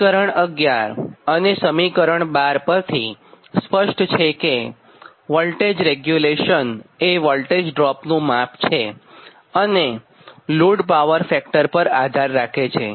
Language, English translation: Gujarati, right from equation eleven and twelve it is clear that the voltage regulation is a measure of line voltage drop and depends on the load power factor, because this is basically